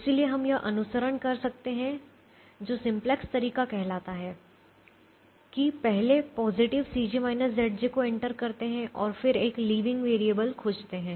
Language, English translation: Hindi, so we could follow what is called the simplex way by first entering a positive c j minus z j and then finding a leaving variable